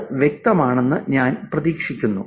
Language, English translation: Malayalam, I hope that's clear